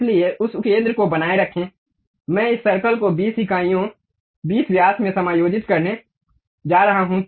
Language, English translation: Hindi, So, keep that center, I am going to adjust this circle to 20 units 20 diameters